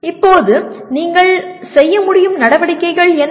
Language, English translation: Tamil, Now what are type of activities you can do